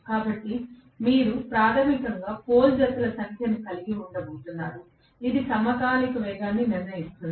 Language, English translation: Telugu, So, you are going to have basically the number of pole pairs, which is going decide the synchronous speed